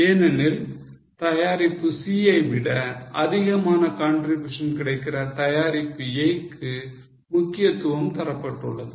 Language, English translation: Tamil, Because a product A which is having more contribution than product C has been now emphasized